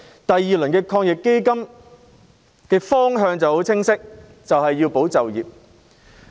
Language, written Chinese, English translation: Cantonese, 因為防疫抗疫基金第二輪措施的方向很清晰，就是要"保就業"。, Because the direction of the second - round AEF measures is very clear it is to safeguard employment